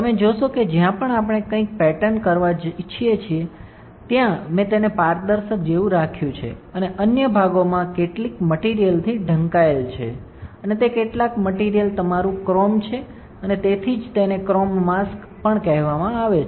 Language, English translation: Gujarati, You will see that wherever we want to pattern something I have kept it like a transparent and other areas are covered with some material and that some material is your chrome and that is why this is also called as chrome mask, c h r o m e, chrome mask ok